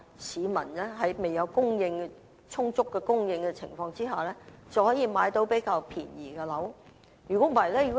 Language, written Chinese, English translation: Cantonese, 這樣，儘管在未有充足房屋供應前，市民也仍然能夠購買比較便宜的樓宇。, In this way even before there is an adequate supply of housing units people can still buy housing units at cheaper prices than now